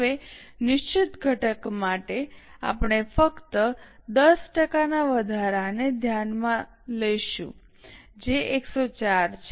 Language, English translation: Gujarati, Now for the fixed component we will just consider 10% rise which is 14